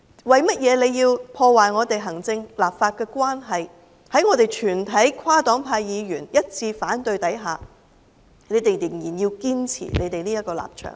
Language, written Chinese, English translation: Cantonese, 為何要破壞行政立法的關係，在我們全體跨黨派議員一致反對的情況下，仍然堅持這個立場呢？, Why do they have to damage the relationship between the executive and the legislature by upholding such a stance despite the unanimous objection of all Members from different parties and groupings?